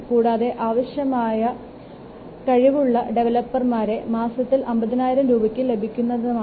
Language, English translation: Malayalam, Assume that the competent developers can be hired at 50,000 per month